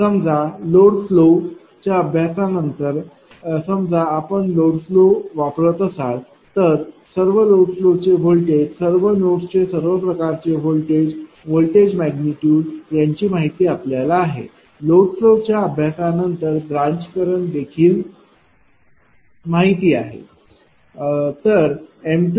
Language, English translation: Marathi, So, after the load flow study suppose you are running the load flow then all the load hold all the voltages of all the nodes are known, voltage magnitudes are known, branch currents also are branch currents are also known after the load flow studies right